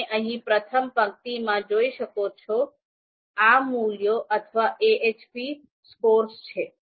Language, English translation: Gujarati, So you can see here in the first row, these are the values, AHP scores